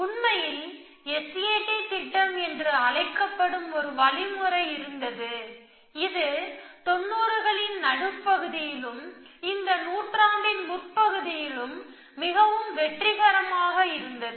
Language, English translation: Tamil, In fact, there was an algorithm called S A T plan which was very successful in the mid nineties and early part of this century